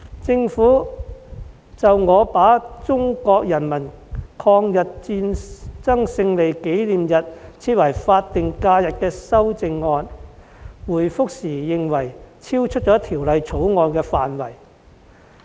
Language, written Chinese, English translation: Cantonese, 就我提出把中國人民抗日戰爭勝利紀念日訂為法定假日的擬議修正案，政府回覆時認為超出了《條例草案》的範圍。, In its reply to my proposed amendment to designate the Victory Day as SH the Government considers that my proposal is outside the scope of the Bill